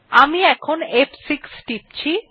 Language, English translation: Bengali, I am pressing F6 now